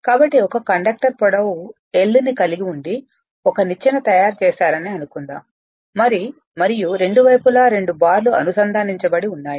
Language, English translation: Telugu, So, suppose you have a this is this is your this is your conductor having length L right and you have made a ladder and both sides so two bars are connected right